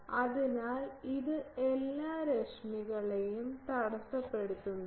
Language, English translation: Malayalam, So, it is not intercepting all the rays